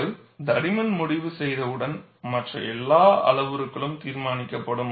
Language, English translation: Tamil, Once you decide the thickness, all other parameters would be decided